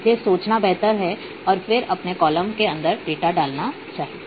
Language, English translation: Hindi, So, it is always better to think first and then add the data inside your column